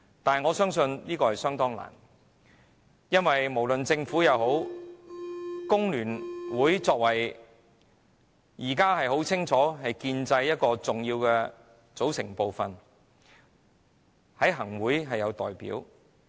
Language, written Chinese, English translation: Cantonese, 不過，我相信此事很難做到，因為不論政府......工聯會現時顯然是建制派的重要組成部分，它在行政會議也有代表。, However I do not think it is easy to make this change because the Government at present FTU is obviously an important component of the pro - establishment camp; FTU is even represented in the Executive Council